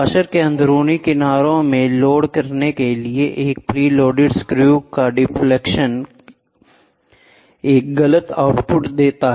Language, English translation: Hindi, The deflection of a preloaded screw the loading in the inner edge of the washer gives an incorrect output